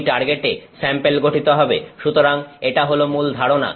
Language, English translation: Bengali, In that target the sample is formed so, this is the basic idea